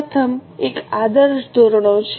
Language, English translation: Gujarati, The first one is ideal standards